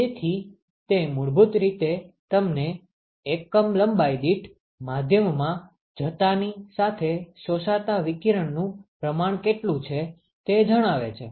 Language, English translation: Gujarati, So, it basically tells you, what is the quantity of radiation that is absorbed as you go into the media per unit length